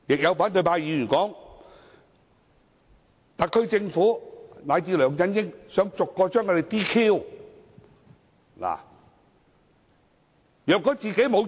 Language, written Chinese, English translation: Cantonese, 有反對派議員又表示，特區政府以至梁振英想把他們逐一取消資格。, Some opposition Members further said that the SAR Government and particularly LEUNG Chun - ying want to disqualify them one by one